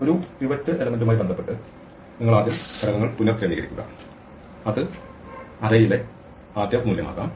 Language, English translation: Malayalam, You first rearrange the elements with respect to a pivot element which could be, well, say the first value in the array